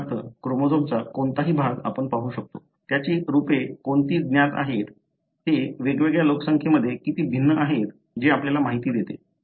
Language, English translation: Marathi, For example, any region of the chromosome we can look at, what are the variants known, how different they are in different population that gives, you know, information